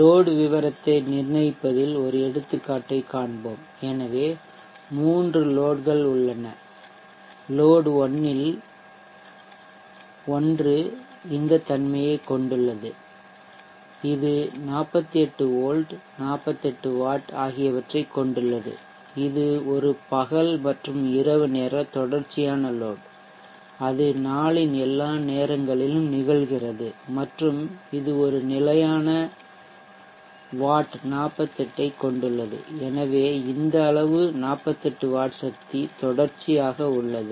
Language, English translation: Tamil, Let us consider an example on determining the load profile, so let us say that there are three loads one of the load one is having this character it is having 48 volts 48 wax and it is a day and night continuous load, it occurs on all times of the day but and it has a fixed set of wax of 48, so this much amount of power 48 back power continuously now load 2, let us say is a water pumping device